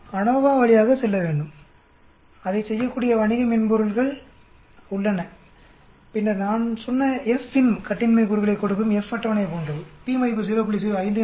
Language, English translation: Tamil, We need to go through ANOVA and there are commercial softwares which can do that and then FINV I talked about, is exactly like that F table given the degrees of freedom, given the p that is 0